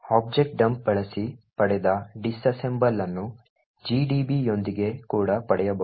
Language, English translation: Kannada, using objdump can be also obtained with gdb